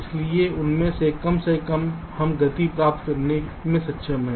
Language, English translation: Hindi, so at least one of them were able to speed up, right